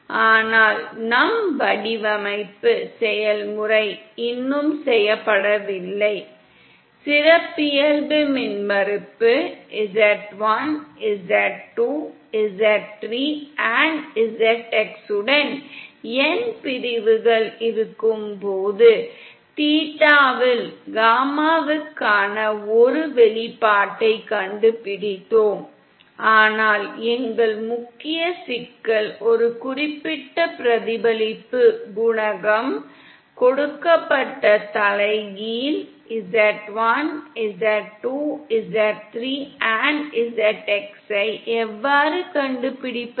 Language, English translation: Tamil, But our design process is not yet done, we have just found out an expression for gamma in theta when we have n sections with characteristic impedance z1, z2, z3 & zx, but our main problem is the reverse that is given a certain reflection coefficient, how can we find out z1, z2, z3 & zx